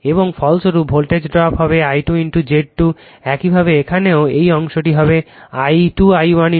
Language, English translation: Bengali, And resultant will be this voltage drop will be I 2 into Z 2 similarly here also this part will be I 2 I 1 into Z 1